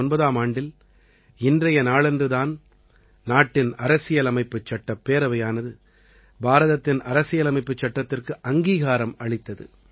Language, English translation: Tamil, It was on this very day in 1949 that the Constituent Assembly had passed and adopted the Constitution of India